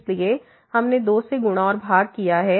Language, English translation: Hindi, So, we multiplied and divided by 2